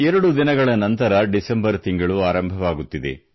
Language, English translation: Kannada, we are now entering the month of December